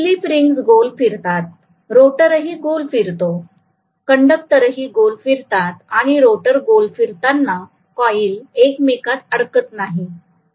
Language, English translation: Marathi, The slip rings rotate, the rotor rotates, the conductor also rotate so there is no intertwining of the coil when the rotor is rotating, there is no problem